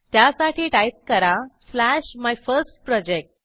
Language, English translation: Marathi, So we will type slash MyFirstProject